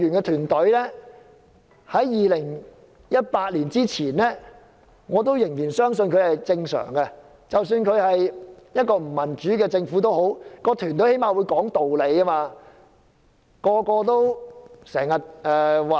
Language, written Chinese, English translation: Cantonese, 在2018年之前，我仍相信公務員團隊是正常的，即使這是一個不民主的政府，至少那團隊仍會講道理。, Before 2018 I still believed that our civil service team was normal . Even though it was led by an undemocratic government the team was reasonable